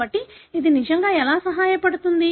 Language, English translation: Telugu, So, how does it really help